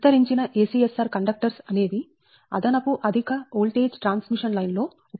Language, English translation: Telugu, expanded acsr conductors are used in extra high voltage transmission line, right